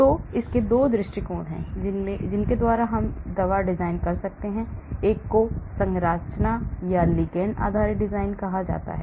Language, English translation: Hindi, So there are 2 approaches by which we can do the drug design, one is called the structure or ligand based design